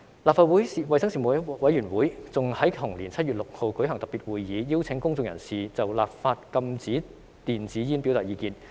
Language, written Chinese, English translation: Cantonese, 立法會衞生事務委員會更在同年7月6日舉行特別會議，邀請公眾人士就立法禁止電子煙表達意見。, The Panel on Health Services of the Legislative Council even held a special meeting on 6 July in the same year to invite the public to express their views on banning e - cigarettes by legislation